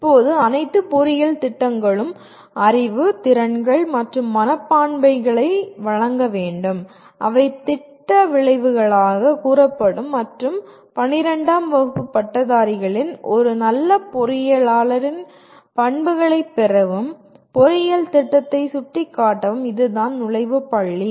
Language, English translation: Tamil, Now all engineering programs are required to impart knowledge, skills and attitudes which will be stated as program outcomes and to facilitate the graduates of 12th standard, that is the entry point to engineering program to acquire the characteristics of a good engineer